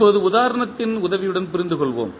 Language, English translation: Tamil, Now, let us understand with the help of the example